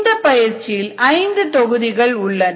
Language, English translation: Tamil, there were totally five modules